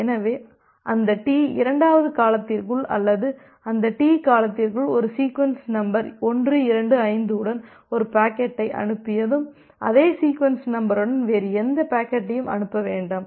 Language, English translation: Tamil, So, it is just like that once you have sent a packet with a sequence number 125 within that T second duration or within that T duration, you do not send any other packet with the same sequence number